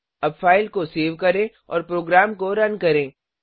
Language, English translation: Hindi, Now, save and run the file